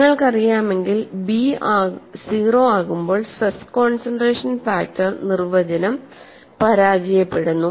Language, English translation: Malayalam, You know, if you really look at, stress concentration factor definition fails when b becomes 0